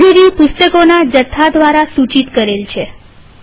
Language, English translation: Gujarati, The library is indicated by a stack of books